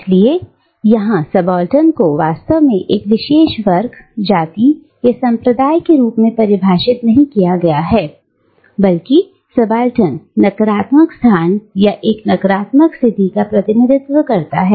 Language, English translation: Hindi, So here, subaltern is not really defined as a special class, or caste, or race, but rather subaltern represents a negative space or a negative position